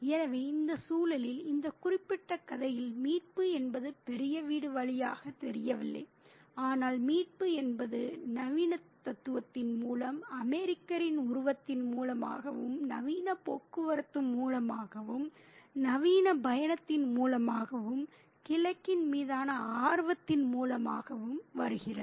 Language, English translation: Tamil, So, rescue doesn't seem to happen through the great house in this context in this particular story, but rescue comes through modernity, through the figure of the American, through modern transportation, through modern travel, through interest in the east